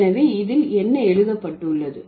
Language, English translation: Tamil, So, what is it written